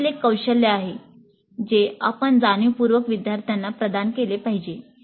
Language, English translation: Marathi, This is also a skill that we must consciously impart to the students